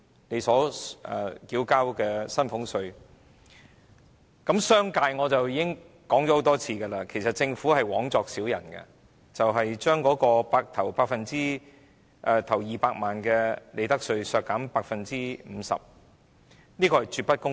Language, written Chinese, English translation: Cantonese, 企業措施方面，我已經多次指出政府枉作小人，將企業首200萬元利潤的利得稅稅率削減 50%， 絕不公平。, As for the concessions for enterprises I have repeatedly said that the Government is making much ado about nothing by granting a 50 % reduction in profits tax rate for the first 2 million of profits which is absolutely unfair